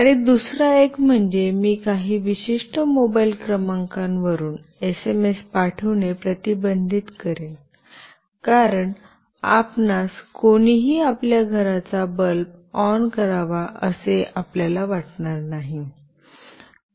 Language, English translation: Marathi, And the other one is I will restrict sending SMS from some particular mobile number, because you will not want anyone to switch on of your home bulb